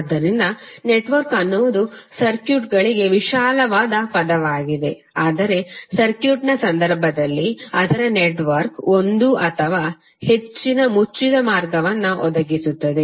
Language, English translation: Kannada, So network is the broader term for the circuits, while in case of circuit its network which providing one or more closed path